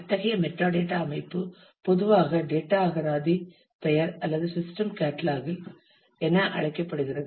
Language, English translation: Tamil, And such a metadata system is usually known as the name of data dictionary or system catalogues